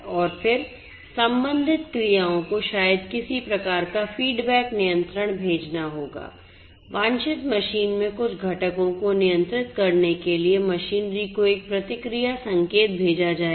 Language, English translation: Hindi, And then the corresponding actions you know maybe some kind of a feedback control will have to be sent a feedback signal will have to be sent to the machinery to control to control certain components in the desired machine